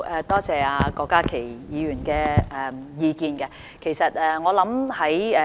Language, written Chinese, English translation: Cantonese, 多謝郭家麒議員的意見。, I thank Dr KWOK Ka - ki for his suggestion